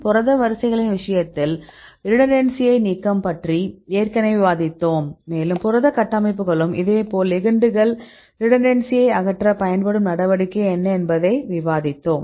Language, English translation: Tamil, Already we discussed about the removal redundancy in the case of protein sequences, and the protein structures likewise ligands also we discussed right what is the measure used to remove the redundancy in the ligands